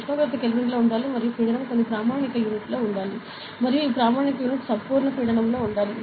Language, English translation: Telugu, So, temperature should be in Kelvin and pressure should be in some standard unit and this standard unit should be in absolute pressure ok